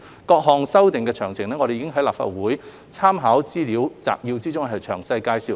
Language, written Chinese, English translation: Cantonese, 各項修訂的詳情，我們已在立法會參考資料摘要中詳細介紹。, Details of the various amendments are set out in the Legislative Council Brief